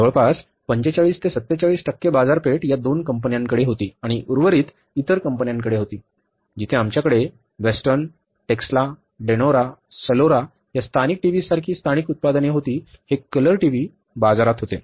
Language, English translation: Marathi, About 45 to 47% market share was with these two companies and remaining was with other companies where we had the local products like Western, Texla, Dianora, Solora, all these TVs, Beltec, these color TVs were there in the market